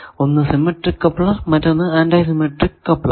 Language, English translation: Malayalam, Now, it can be symmetric, it can be antisymmetric